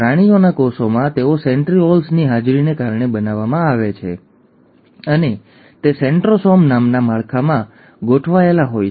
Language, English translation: Gujarati, In animal cells, they are made, thanks to the presence of centrioles, and it is organized in a structure called centrosome